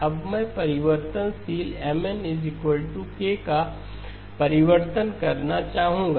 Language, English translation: Hindi, Now I would like to do a change of variable Mn equal to K